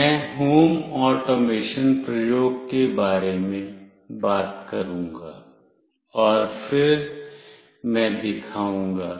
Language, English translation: Hindi, I will talk about the home automation, the experiment, and then I will demonstrate